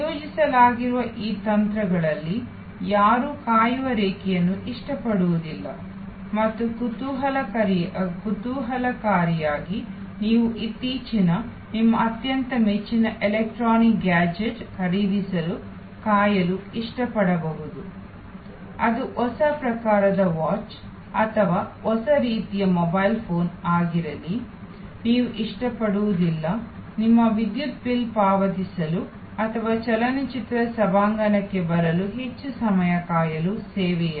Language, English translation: Kannada, Of these techniques that are deployed, nobody likes the waiting line and interestingly, while you might like to wait for buying the latest, your most favorite electronic gadget, be it a new type of watch or new type of mobile phone, you would not like in service to wait for too long for paying your electric bill or for getting in to the movie auditorium